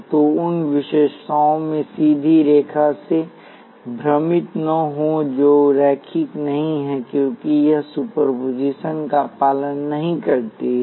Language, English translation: Hindi, So, do not be confused by the straight line in the characteristics it is not linear, because it does not obey superposition